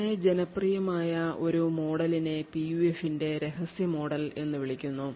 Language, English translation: Malayalam, So one very popular model is something known as the secret model of PUF